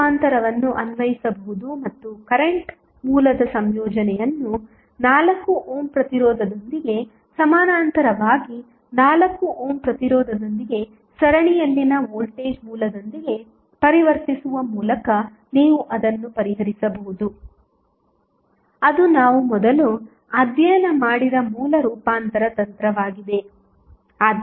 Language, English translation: Kannada, You can apply source transformation and you can solve it by converting the combination of current source in parallel with 4 ohm resistance with the voltage source in series with 4 ohm resistance that is the source transformation technique which we studied earlier